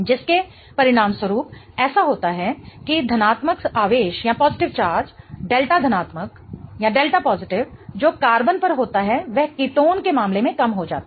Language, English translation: Hindi, As a result of which what happens is that the positive charge, the delta positive that is on the carbon reduces in the case of ketone